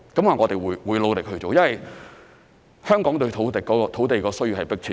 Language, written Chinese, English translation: Cantonese, 我們會努力去做，因為香港對土地的需要是迫切的。, We will try our best given the keen demand for land in Hong Kong